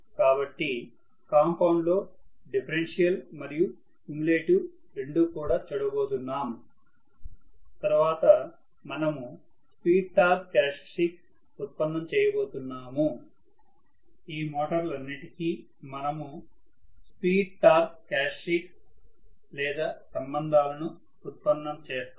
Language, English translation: Telugu, So in compound, of course, we will be looking at differential and cumulative both we will be looking at and then we will be deriving the speed torque characteristics for each of this motors, we will be deriving the speed torque characteristics or relationship for each of these motors